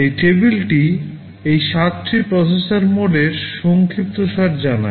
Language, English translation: Bengali, This table summarizes these 7 processor modes